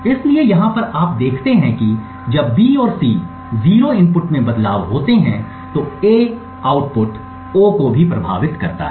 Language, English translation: Hindi, So over here you see that when B and C are 0s a change in input A also affects the output O